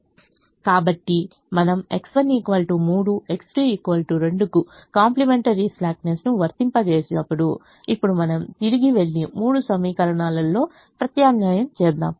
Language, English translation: Telugu, so when we apply the complimentary slackness, x one equal to three, x two equals to two, we go back and substitute in the three equations now